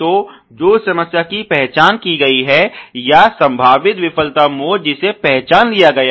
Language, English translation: Hindi, So, the problem that has been identified or the potential failure mode that has been identified which